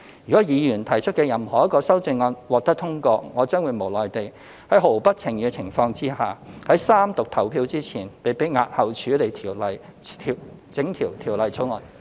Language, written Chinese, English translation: Cantonese, 如果議員提出的任何一項修正案獲得通過，我將會無奈地在毫不情願的情況下，在三讀表決前被迫押後處理整項《條例草案》。, If any of the Members amendments were passed I will have no choice but be compelled to postpone the entire Bill before the voting on the Third Reading